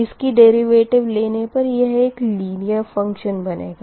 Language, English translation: Hindi, when you take the derivative right, it will be linear